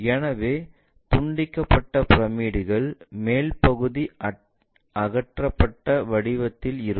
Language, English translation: Tamil, So, truncated pyramids have such kind of shape where the top portion is removed